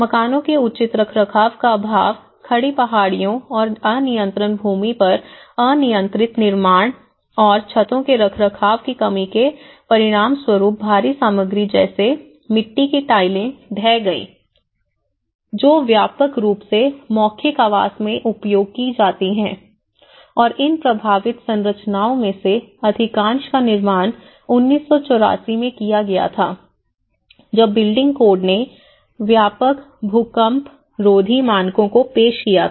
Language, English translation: Hindi, Lack of proper maintenance of houses and uncontrolled informal construction on steep hills and unstable land and lack of maintenance of roofs resulted in the collapse of heavy materials such as clay tiles which are widely used in vernacular housing and most of these affected structures were built in 1984 when the building codes introduced comprehensive seismic resistant standards